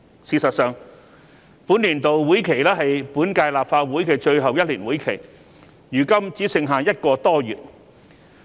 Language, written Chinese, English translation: Cantonese, 事實上，本年度會期是本屆立法會的最後1年會期，如今只剩下1個多月。, In fact this is the last legislative session of this term of the Legislative Council and there is only about a month left before the session ends